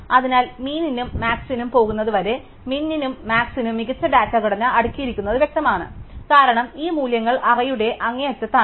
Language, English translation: Malayalam, So, for min and max as far as min and max go, then it is clear that the best data structure is sorted array, because these values are at the extreme ends of the array